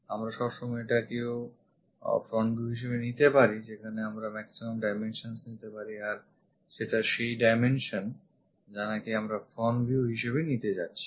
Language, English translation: Bengali, We can always pick this one also front view where we are going to pick maximum dimensions that dimensions what we are going to pick as a front view